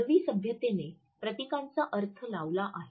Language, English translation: Marathi, Human civilization has invented emblems